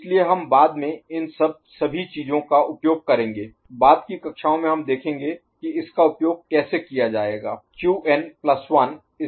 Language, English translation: Hindi, So, we shall make use of all these things later, in subsequent classes we shall see how to make use of it